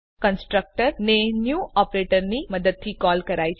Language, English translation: Gujarati, Constructor is called using the new operator